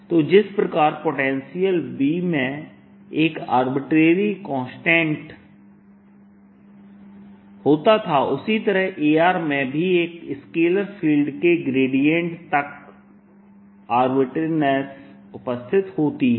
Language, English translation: Hindi, so, just like the potential b had an arbitrary of this constant, a r has an arbitrary up to the gradient of a scalar field